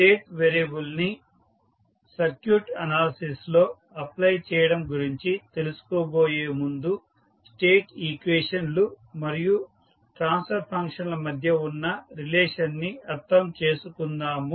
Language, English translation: Telugu, Before going into the application of state variable in circuit analysis, first let us understand what is the relationship between state equations and the transfer functions